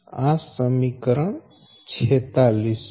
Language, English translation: Gujarati, this is equation forty seven